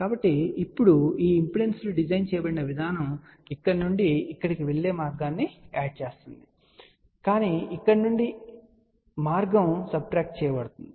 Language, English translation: Telugu, So, now, the way these impedances are designed that the path from here to here will add up, but path from here will subtract